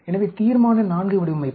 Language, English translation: Tamil, So, Resolution IV design